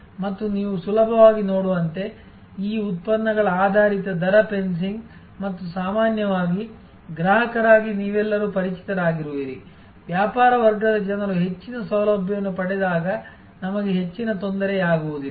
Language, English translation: Kannada, And these as you easily see, that you are all familiar with these products based rate fencing and usually as consumers, we do not feel much of a disturbance when business class people get more facilities